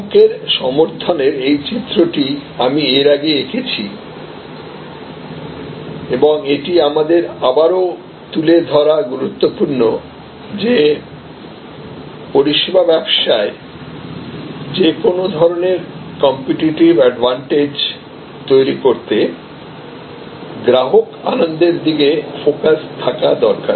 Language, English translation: Bengali, So, customer advocacy, this diagram I have drawn before and it is important that we highlight it again that in service businesses any kind of competitive advantage needs to stay focused on customer delight